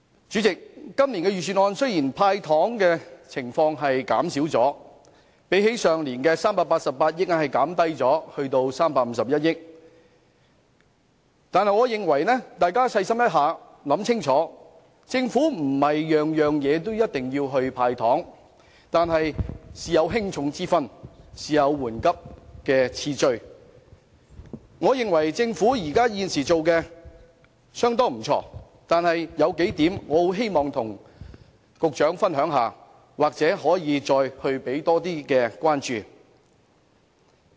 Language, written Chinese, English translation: Cantonese, 主席，今年的預算案雖然減少了"派糖"，由去年的388億元減至351億元，但大家細心想想，政府並非需要經常"派糖"，事有輕重緩急之分，我認為政府現時已做得不錯，但有幾點我很希望與局長分享，或許他可以給予更大關注。, President although the candies handed out in this years Budget has been reduced from last years 38.8 billion to 35.1 billion we have to realize upon careful consideration that the Government needs not hand out candies all the time . Work should be done in order of importance and urgency . I think the Government has done a rather good job but there are a few points I would like to share with the Secretary and perhaps he can pay more attention to them